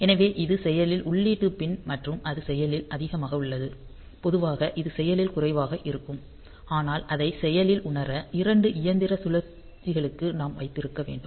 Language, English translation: Tamil, So, it is active input pin and it is active high; so normally it is active low, but we must hold it for two machine cycles for getting it active sensed